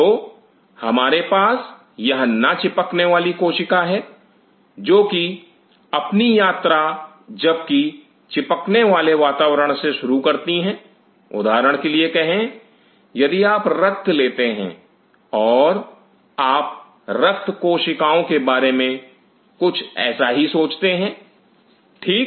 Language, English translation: Hindi, So, we have this non adhering cell which those start their journey from even adhering environment say for example, if you take blood if you think of the blood cells to be something like this ok